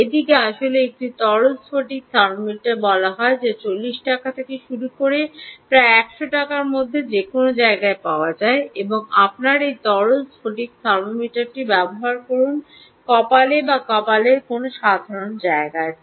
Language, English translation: Bengali, this is actually called a liquid crystal thermometer, which is available for anywhere from rupees forty upwards to about hundred rupees, and use this simple liquid crystal thermometer on your forehead